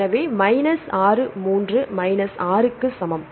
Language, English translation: Tamil, So, minus 6 3 minus 6 that is equal to; Minus 3